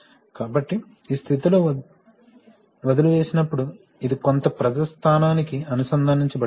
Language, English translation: Telugu, So therefore, when leave in this position this then this connected to some pressure point